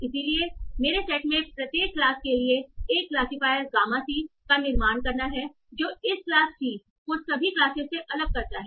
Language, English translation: Hindi, So for each class class in my set, you're building in class c, that distinguishes this class C from all other classes